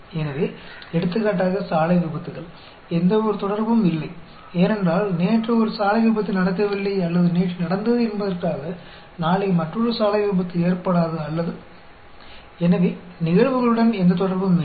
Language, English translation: Tamil, So, for example, road accidents; there is no correlation that, because a road accident did not happen yesterday, or happened yesterday, there will not be another road accident tomorrow, or theÖ So, there is no correlation on the events